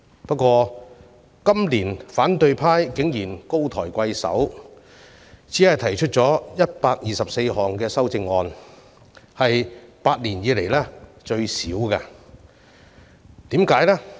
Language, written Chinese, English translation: Cantonese, 不過，反對派今年竟然高抬貴手，只提出了124項修正案，屬8年來最少，為甚麼呢？, That said the opposition camp has exercised restraint this year by proposing only 124 amendments the least in the past eight years